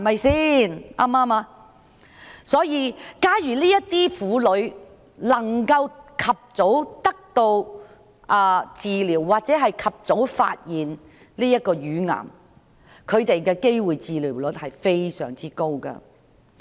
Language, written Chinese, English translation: Cantonese, 所以，假如這些婦女能夠及早得到治療，或及早發現自己罹患乳癌，她們獲治癒的機會率是非常高的。, Therefore if these women can get treatment early or can detect their breast cancer early their chances of being cured are very high